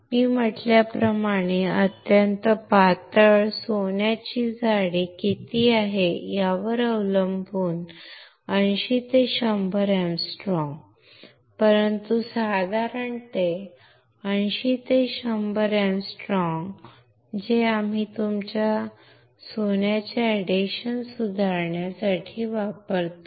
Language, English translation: Marathi, Extremely thin like I said 80 to 100 angstrom depending on what is the thickness of gold, but generally around 80 to 100 angstrom that we use for improving the adhesion of your gold right